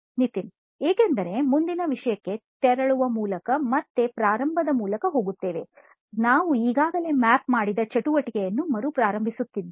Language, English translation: Kannada, Because by moving on to next topic is again going through the starting, restarting the activity that we have already mapped